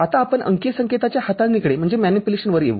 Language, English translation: Marathi, Now, we come to the manipulation of digital signals